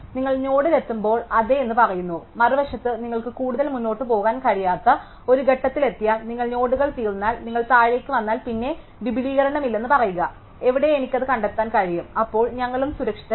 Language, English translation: Malayalam, And then when you reach a node you say yes, on the other hand if you reach a point where you cannot going further, if you run out of nodes, if you come all the way down and then you say there is no extension, where I can find it then we will say false